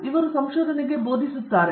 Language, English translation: Kannada, So, this is teaching in research